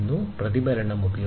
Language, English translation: Malayalam, Reflection is used